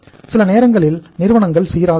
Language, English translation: Tamil, Sometime firms remain consistent